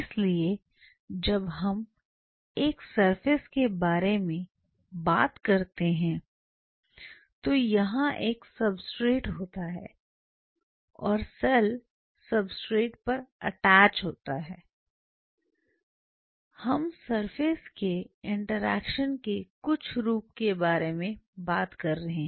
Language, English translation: Hindi, So, when we talk about a substrate here is a substrate and cells are attaching on the substrate we are talking about some form of surface interaction